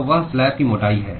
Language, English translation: Hindi, So, that is the thickness of the slab